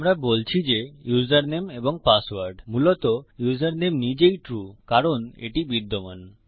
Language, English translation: Bengali, We are saying username and password basically username itself is true because it exists..